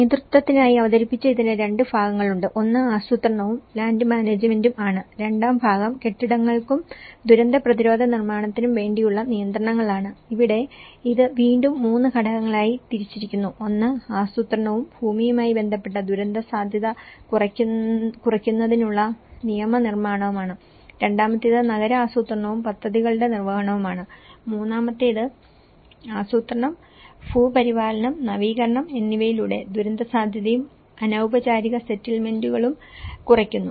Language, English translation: Malayalam, And how, this was presented for the leadership, there are 2 parts; one is the planning and land management, the second part which is on the regulations for the buildings and disaster resistant construction and here this has been again further divided into 3 components; one is the legislation for disaster risk reduction related to planning and land, the second one is the urban planning and implementation of plans, third one is reducing disaster risk and informal settlements through planning, land management and upgrading